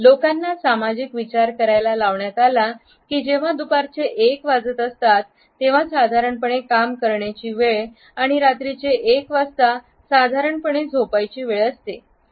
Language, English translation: Marathi, People have been socially conditioned to think that when it is1 PM it is normally the time to work and when it is 1 AM it is normally the time to sleep